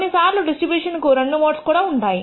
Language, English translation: Telugu, Sometimes distribution may have two modes